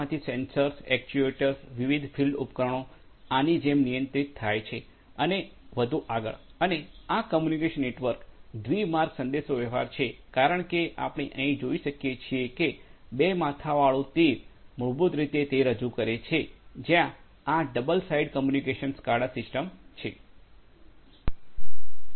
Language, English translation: Gujarati, From the PLC the sensors, actuators, the different field devices are controlled like this and so on and these communications are two way communication as we can see over here the double headed arrows basically represent the that there is you know double sided communication SCADA systems